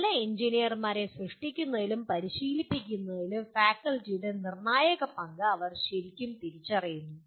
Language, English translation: Malayalam, They really recognize that the crucial role of faculty in making or leading to training good engineers